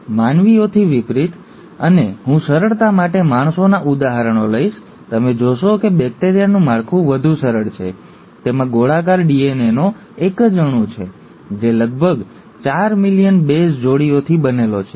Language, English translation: Gujarati, But, unlike humans, and I’ll take the examples of humans for simplicity, you find that the bacterial structure is much more simpler, it just has a single molecule of circular DNA, which is made up of about four million base pairs